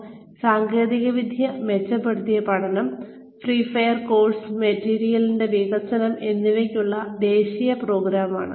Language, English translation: Malayalam, This, the national program on, technology enhanced learning, and freeware, and development of course material